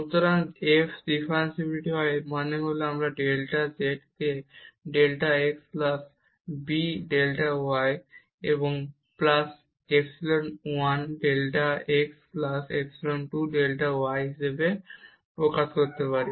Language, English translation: Bengali, So, if f is differentiable; that means, we can express this delta z as a delta x plus b delta y and plus epsilon 1 delta x plus epsilon 2 delta y